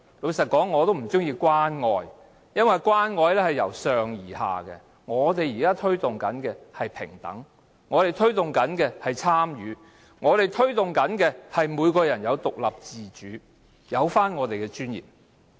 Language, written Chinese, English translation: Cantonese, 老實說，我不喜歡用"關愛"一詞，因為關愛是由上而下的，但我們現時推動的是平等、參與，以及每個人都能夠獨立自主，並有尊嚴。, Frankly speaking I do not like the word caring because it suggests a top - to - down approach . However we are now advocating equality participation independence autonomy and dignity